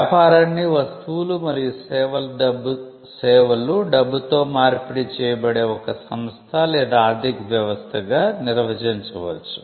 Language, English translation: Telugu, A business can be defined as, an organization or an economic system, where goods and services are exchanged for one another of money